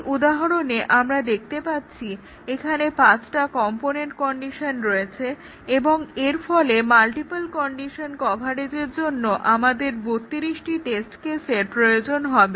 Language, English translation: Bengali, So, this example that shows that here we have 5 component conditions here, and therefore we need 32 test cases for multiple condition coverage